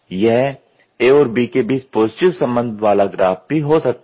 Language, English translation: Hindi, So, it is an inverse relationship between A and B